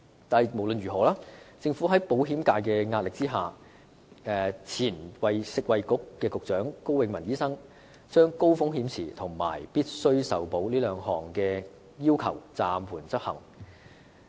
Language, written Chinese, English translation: Cantonese, 但無論如何，政府在保險界的壓力下，前任食物及衞生局局長高永文醫生將高風險池和必須受保這兩項要求暫緩執行。, But anyway under the pressure of the insurance sector former Secretary for Food and Health Dr KO Wing - man suspended the implementation of two requirements namely the high risk pool and guaranteed acceptance